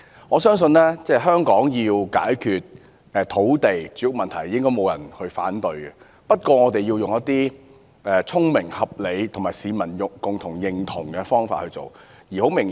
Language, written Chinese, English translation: Cantonese, 我相信應該不會有人反對香港需要解決土地和住屋問題，但我們應該以聰明、合理及市民共同認同的方法解決有問題。, I believe no one will object that Hong Kong needs to solve its land and housing problem but we should do so with an intelligent and reasonable approach consented by the people